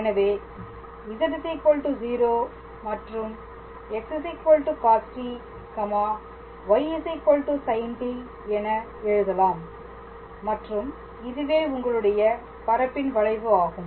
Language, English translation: Tamil, So, you just write z equals to 0 and x equals to cos t y equals to sin t and that is your curve in space whose z component is 0